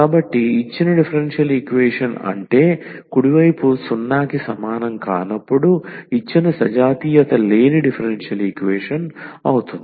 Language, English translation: Telugu, So, the given differential equation means the given non homogeneous differential equation when the right hand side is not equal to 0